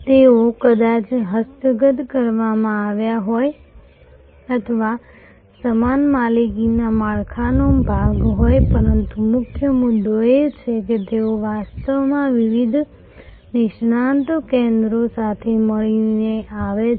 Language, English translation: Gujarati, They might have been acquired or part of the same ownership structure, but the key point is operationally they are actually coming together of different expertise centres